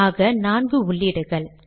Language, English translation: Tamil, So there are four entries